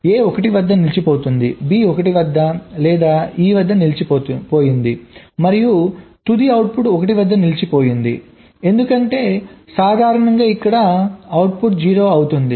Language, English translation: Telugu, stuck at one, faults stuck at a stuck at one, b stuck at one or e stuck at and of course the final output stuck at one, because normally here the output will be zero